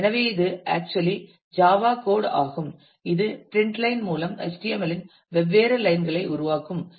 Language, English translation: Tamil, So, it actually is a Java code which through print line will generate different lines of the HTML